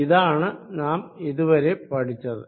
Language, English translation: Malayalam, So, this is what we learnt so far